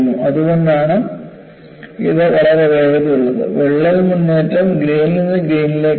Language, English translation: Malayalam, So, that is why it is very fast, the crack advancement is grain by grain